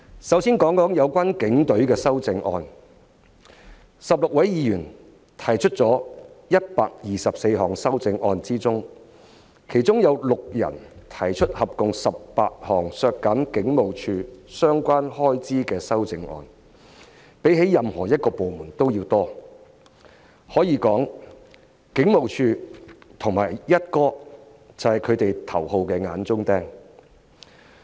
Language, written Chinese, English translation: Cantonese, 首先談談有關警隊的修正案 ，16 位議員提出了124項修正案中，其中有6人提出合共18項削減香港警務處相關開支的修正案，數目較任何部門為多，可以說警務處和"一哥"是他們的頭號"眼中釘"。, Let me first talk about the amendments in relation to the Police . Among the 124 amendments proposed by 16 Members a total of 18 amendments proposed by six Members seek to reduce the expenditures of the Hong Kong Police Force HKPF . The number of amendments is higher than that for any other departments